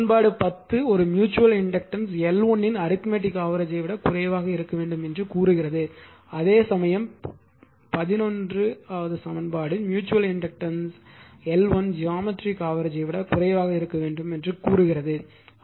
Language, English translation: Tamil, So, ; that means, equations 10 state that a mutual inductance must be less than the arithmetic mean of L 1 L 2, while equation eleven states that mutual inductance must be less than the geometric mean of L 1 and L 2